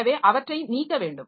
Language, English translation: Tamil, So, we have to delete them